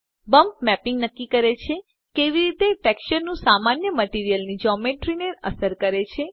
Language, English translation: Gujarati, Bump mapping determines how the normal of the texture affects the Geometry of the material